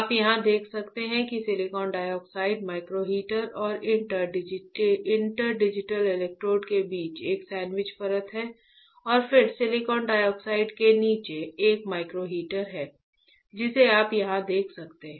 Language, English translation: Hindi, You can see here that silicon dioxide is a sandwich layer between micro heater and inter digitated electrodes, right and then below silicon dioxide there is a micro heater which you can see here right